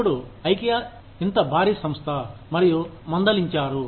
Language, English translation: Telugu, Now, Ikea, such a huge organization, and they were flabbergasted